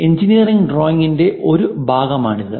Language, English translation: Malayalam, This is one part of engineering drawing